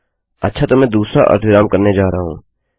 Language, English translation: Hindi, Okay so the next one Im going to do is the semicolon